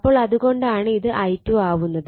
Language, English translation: Malayalam, So, this is I 2 and at this N 2